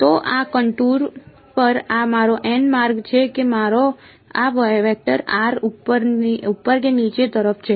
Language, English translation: Gujarati, So, on this contour this is my n hat right which way is my this vector r upwards or downwards